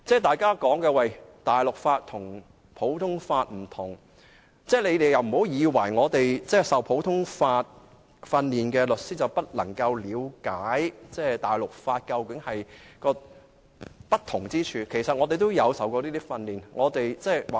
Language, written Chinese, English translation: Cantonese, 大家都說大陸法與普通法是不同法制，但不要誤會，在香港接受普通法訓練的律師便不能了解普通法與大陸法的不同之處，其實我們也接受過這方面的訓練。, People say that the civil law and the common law are different legal systems but do not be misguided that lawyers who have received common law training do not understand the difference between common law and civil law . In fact people have received training in civil law too